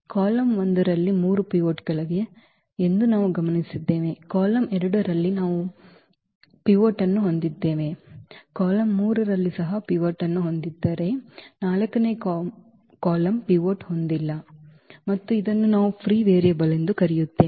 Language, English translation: Kannada, What we have observed that there are these 3 pivots in column 1 we have pivot, in column 2 also we have pivot, column 3 also has a pivot while the column 4 does not have a pivot and this is what we call the free variable